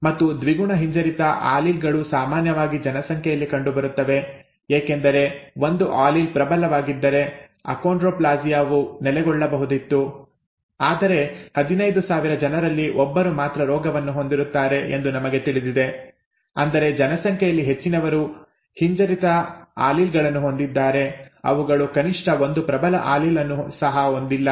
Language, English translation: Kannada, And double recessive alleles are most commonly found in the population because if one allele had been dominant, the achondroplasia would have settled whereas we know that only 1 in 15,000, are have the disease which means most in the population do not have rather they have recessive alleles they have they do not even have one of the dominant alleles